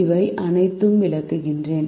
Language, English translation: Tamil, let me explain all of this